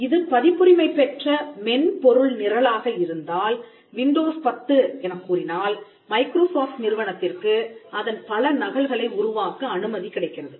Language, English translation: Tamil, If it is a copyrighted software program say Windows 10, it allows Microsoft to make multiple copies of it